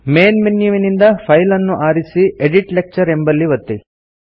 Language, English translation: Kannada, From the Main menu, select File, and click Edit Lecture